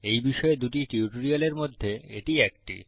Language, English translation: Bengali, This is one of the two tutorials on this topic